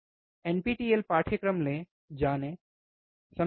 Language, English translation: Hindi, Take the nptelNPTEL courses, learn, right